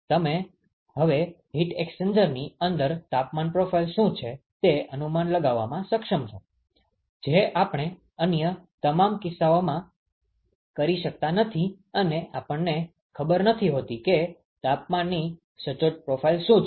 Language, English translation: Gujarati, You are able to now predict what is the temperature profile inside the heat exchanger; which we cannot do on all the other cases, we do not know what is the exact temperature profile